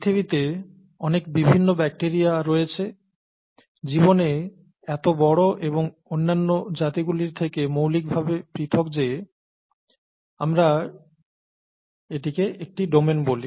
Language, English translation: Bengali, And there are so many different bacteria in the world, in life and so large that and so fundamentally different from other varieties that we call that a domain